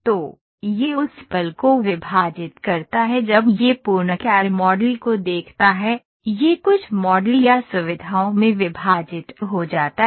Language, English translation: Hindi, So, it splits, it moment it sees the full CAD model, it gets into it divided into some models or features